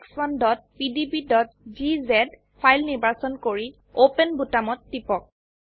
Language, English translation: Assamese, Select 4EX1.pdb.gz file and click on open button